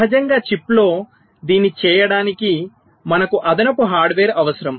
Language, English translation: Telugu, naturally, to do this on chip we need additional hardware